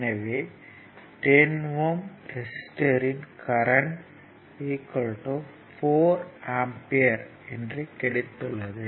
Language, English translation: Tamil, So now so, current through 10 ohm resistor is this is also given 4 ampere